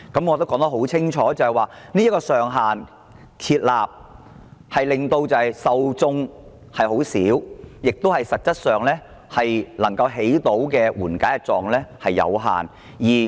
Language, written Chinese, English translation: Cantonese, 我已很清楚指出，有關上限的受眾很少，以致實際上能達到的紓緩作用十分有限。, I have already pointed out very clearly that with the imposition of such a ceiling the number of people who will benefit from the measure will be very small and therefore the relief effect will be very limited